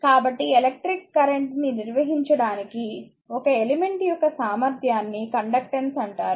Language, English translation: Telugu, So, thus conductance is the ability of an element to conduct electric current